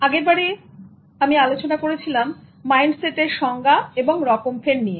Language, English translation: Bengali, In the last one, I discussed various types and definitions of mindset